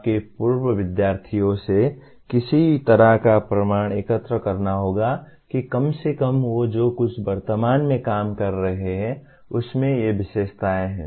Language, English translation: Hindi, Some kind of proof will have to be collected from your alumni to see that at least they are whatever they are presently working on has these features in it